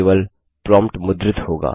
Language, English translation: Hindi, Only the prompt will be printed